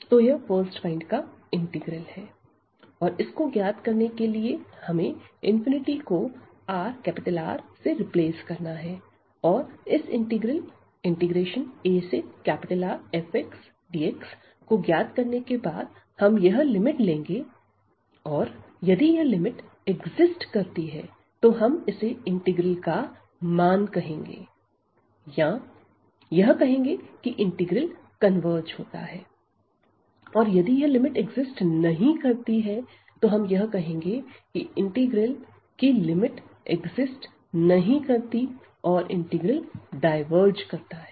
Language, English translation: Hindi, So, this is the integral of first kind and to evaluate this what we will do we will replace that infinity by R this number and then later on after evaluating this integral here a to R f x dx and then we will take this limit and if this limit exists we call that this is the value of this integral or the integral converges and if this limit does not exist then we call the limit that the integral does not exist or the integral diverges